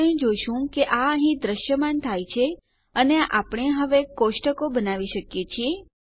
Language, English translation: Gujarati, We can see it appears here and we can now create tables